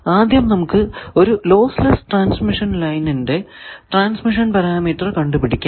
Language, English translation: Malayalam, Now, first let us find the transmission parameter of a lossless transmission line